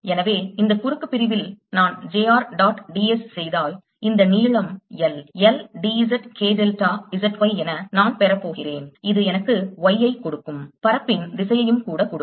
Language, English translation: Tamil, so if i do j r dot d s across this cross section, i am going to get, if this length is l, l, d z k delta z, y, which gives me a